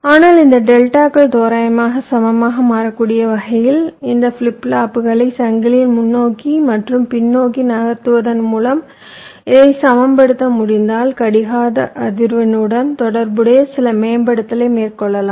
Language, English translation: Tamil, but you, we, if you can balance this out by moving this flip pops forward and backward in the change such that this deltas can become approximately equal, then you can carry out some optimization with respective to the clock frequency